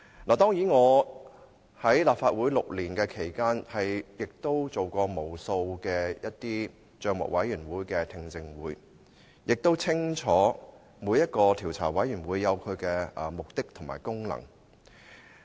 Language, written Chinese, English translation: Cantonese, 我在立法會的6年期間，參與過無數的政府帳目委員會的聽證會，清楚每個調查委員會也有其目的和功能。, During the six years that I have served in the Legislative Council I have participated in numerous hearings of the Public Accounts Committee . I clearly understand that each committee of inquiry has its objectives and functions